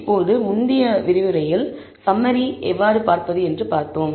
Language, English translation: Tamil, Now, from the earlier lecture we saw how to look at the summary